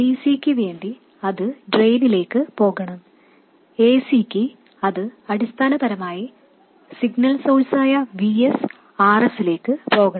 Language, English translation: Malayalam, For DC, for DC, it should go to the drain and for AC, it must go to Vs R S, basically the signal source